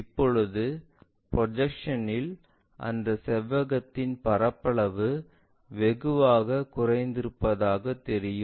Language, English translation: Tamil, Now, at projection level if you are seeing that it looks like the area of that rectangle is drastically reduced